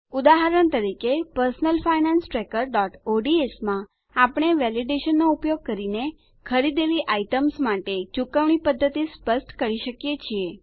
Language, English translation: Gujarati, For example, in Personal Finance Tracker.ods, we can specify the mode of payment for the items bought using Validation